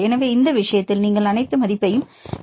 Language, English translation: Tamil, So, in this case you can calculate all the values